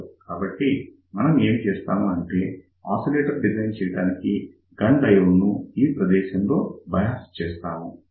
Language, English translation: Telugu, So, what do we do to design an oscillator, we bias this Gunn diode in this particular region